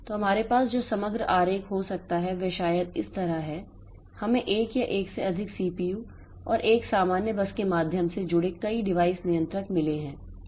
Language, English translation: Hindi, So they are so we have so the overall diagram that we can have is maybe like this we have got one or more CPUs and a number of device controllers connected through a common bus